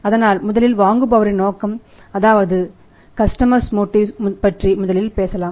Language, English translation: Tamil, So, let us talk first about the buyers motive that of the customers motive